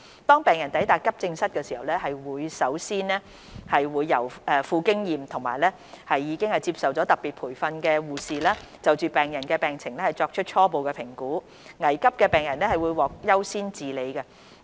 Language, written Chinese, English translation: Cantonese, 當病人抵達急症室時，會先由富經驗及已接受特別培訓的護士，就病人的病情作出初步評估，危急的病人會獲得優先治理。, When patients attend the AE departments an experienced and specially trained triage nurse will first assess their conditions with priority for treatment to be given to emergency cases